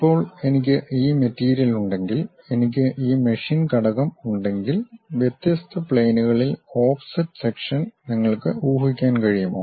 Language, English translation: Malayalam, Now, if I have this material, if I have this machine element; can you guess offset section at different planes